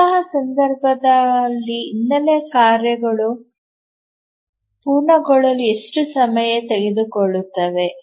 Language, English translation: Kannada, So, in that case, how long will the background task take to complete